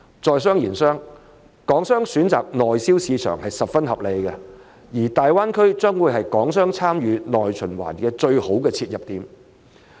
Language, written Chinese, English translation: Cantonese, 在商言商，港商選擇內銷市場是十分合理的，而大灣區將會是港商參與內循環的最佳切入點。, Business is business . It makes much sense for Hong Kong businesses to choose the Mainland market and the Greater Bay Area will be the best entry point for Hong Kong businesses to take part in the domestic circulation